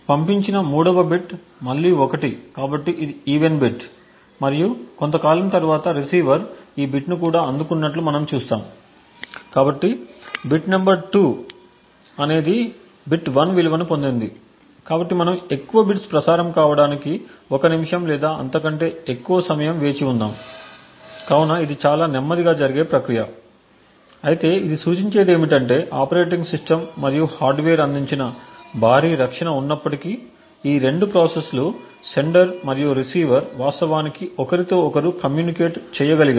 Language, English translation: Telugu, The 3rd bit being sent is 1 again so this is an even bit and we will see that after sometime the receiver has indeed received this bit as well, so the bit number 2 is the even bit got a value of 1, so we can just wait for may be a minute or so to see more bits being transmitted, so this is an extremely slow process but what it signifies is that these 2 process sender and receiver in spite of the heavy protection provided by the operating system and hardware have been able to actually communicate with each other